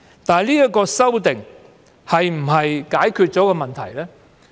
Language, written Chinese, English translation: Cantonese, 不過，這次修訂能否解決問題呢？, Nevertheless can the amendment exercise this time around solve the problem?